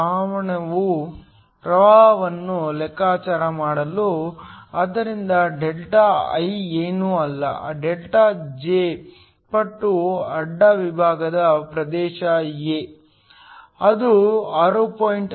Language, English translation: Kannada, To calculate the current, so delta I is nothing but delta J times the cross sectional area A, this is 6